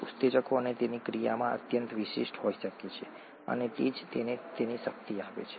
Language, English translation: Gujarati, Enzymes can be highly specific in their action, and that’s what gives it its power